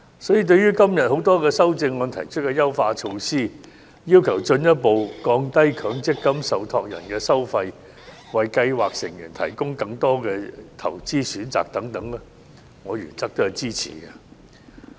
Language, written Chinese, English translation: Cantonese, 因此，對於今天多項修正案提出的優化措施，要求進一步降低強積金受託人收費、為計劃成員提供更多投資選擇等，我原則上予以支持。, Hence I support in principle the enhancement initiatives proposed by todays amendments that demand further lowering of fees charged by MPF trustees and provision of more investment options for scheme members